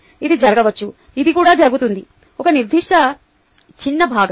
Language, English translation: Telugu, this also happens, a certain small fraction